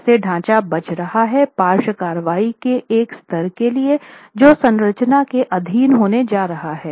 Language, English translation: Hindi, How is the structure going to survive for a level of lateral action that the structure is going to be subjected to